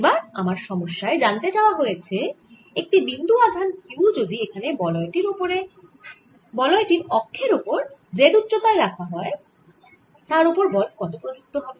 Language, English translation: Bengali, now what the problem wants to know is the if a point charge q is placed on the axis of the ring at height z